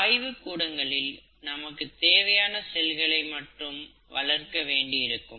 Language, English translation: Tamil, You know in the labs you would want to grow only the cells that we are interested in